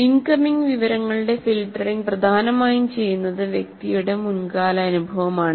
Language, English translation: Malayalam, The filtering of incoming information is dominated, dominantly done by past experience of the individual